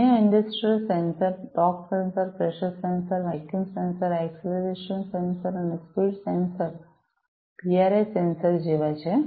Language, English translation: Gujarati, Other industrial sensors are like torque sensor, pressure sensor, vacuum sensor, acceleration sensor, speed sensor, PIR sensor